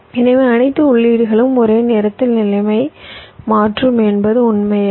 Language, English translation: Tamil, so it is not necessarily true that all the inputs will be changing state at the same time